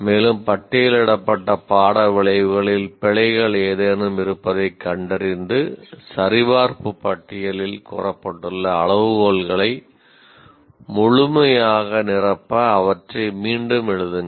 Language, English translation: Tamil, And also identify the errors if any in course outcomes listed and rewrite them to fulfill the criteria stated in the checklist